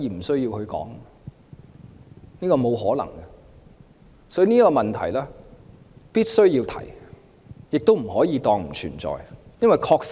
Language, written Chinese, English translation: Cantonese, 所以，普選的問題必須要提出，亦不可以當作不存在。, Thus we must raise the issue of universal suffrage and should not regard it as non - existent